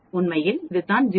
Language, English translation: Tamil, In fact, that is what this is 0